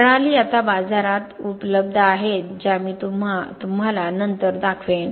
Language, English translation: Marathi, Now there are other systems available in the market which I will show you later